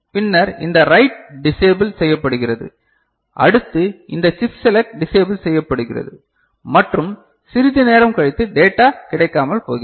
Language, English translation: Tamil, And then this write is disabled then this chip select is disabled and valid data becomes unavailable after some time